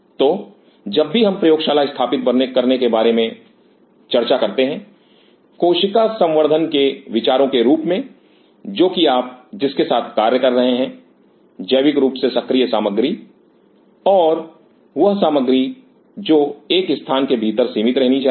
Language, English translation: Hindi, So, whenever we talk about setting up a lab, as perceive of the cell culture which is you are dealing with biologically active material and material which should remain confined within a space